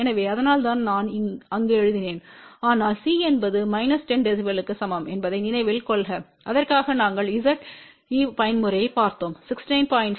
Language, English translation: Tamil, So, that is why i wrote there , but please remember C is equal to minus 10 db and for that we had seen Z even mode was 16 9